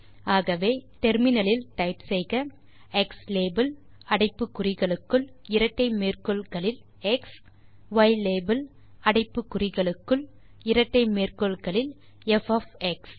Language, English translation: Tamil, So for that you can type in terminal xlabel within brackets in double quotes x , then ylabel in terminal within brackets in double quotes f of x